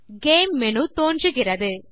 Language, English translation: Tamil, The Game menu appears